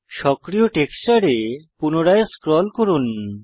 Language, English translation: Bengali, Scroll back to the active texture